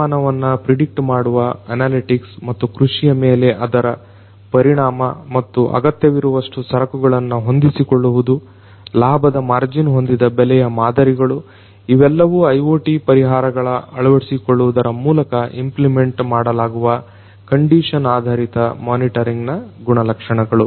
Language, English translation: Kannada, Analytics predicting weather and their impact on farming and adjusting the amount of required material, pricing models with profit margin; these are the different attributes of condition based monitoring which are going to be implemented through the integration of IoT solutions